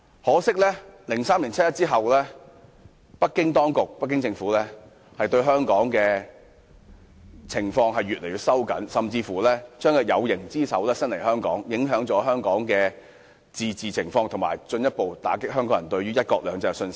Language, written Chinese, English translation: Cantonese, 可惜的是，在2003年七一遊行後，北京政府對香港的管控日益收緊，甚至將有形之手伸至香港，影響香港的自治情況，進一步打擊香港人對"一國兩制"的信心。, Regrettably since the 1 July march in 2003 the Beijing Government has tightened its grip on Hong Kong and even extended its visible hand to Hong Kong thus affecting Hong Kongs autonomy and dealing a further blow to Hong Kong peoples confidence in one country two systems